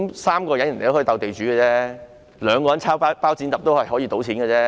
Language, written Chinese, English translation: Cantonese, 3人可以"鬥地主"遊戲，兩人可以猜"包、剪、揼"，一樣可以賭錢，對嗎？, Three people can play the game of battling the landlord while two people can play rock - paper - scissors